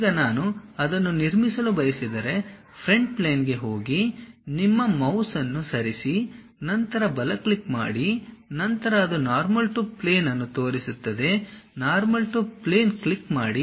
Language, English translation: Kannada, Now, if I would like to construct it, go to Front Plane just move your mouse then give a right click, then it shows Normal To plane, click that Normal To plane